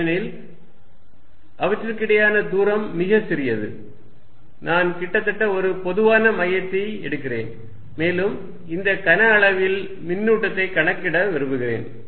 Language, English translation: Tamil, Because, the distance between them is very small I can take almost a common centre and I want to calculate the charge in this volume